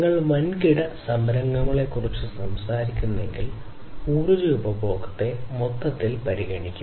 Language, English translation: Malayalam, So, you know if you are talking about large scale enterprises there is a consideration of the energy; energy consumption as a whole